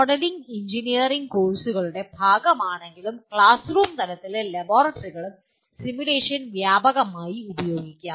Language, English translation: Malayalam, While modeling is a part of number of engineering courses, simulation can be extensively used at classroom level and in laboratories